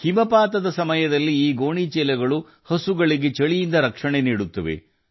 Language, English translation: Kannada, During snowfall, these sacks give protection to the cows from the cold